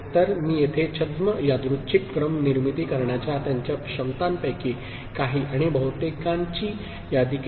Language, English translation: Marathi, So, here I have listed a few and majority of them from its ability to generate pseudo random sequence